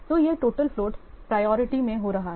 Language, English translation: Hindi, So this is happening in total flow priority